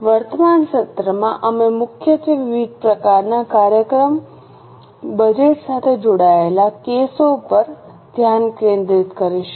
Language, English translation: Gujarati, In the current session we will mainly focus on the cases involving different types of functional budget